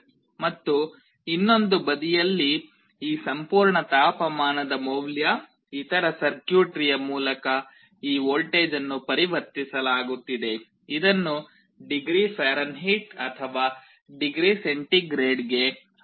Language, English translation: Kannada, And on the other side this absolute temperature value, this voltage through some other circuitry is being converted into a voltage that can be made proportional to either degree Fahrenheit or degree centigrade